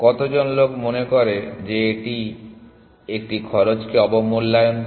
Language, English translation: Bengali, How many people feel it underestimates a cost